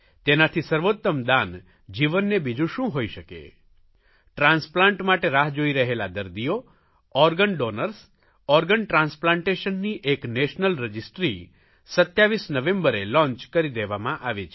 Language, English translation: Gujarati, I would like to inform those waiting for organs and those willing to donate that a national registry for organ transplantation has been launched on 27th November